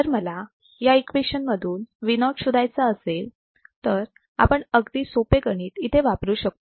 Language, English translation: Marathi, If I want to find Vo from this equation, this is very simple mathematics that we can use